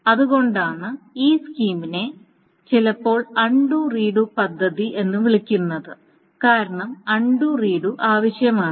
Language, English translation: Malayalam, So, this is why this scheme is also sometimes called an undo re re do recovery scheme because both undoing and redoing is needed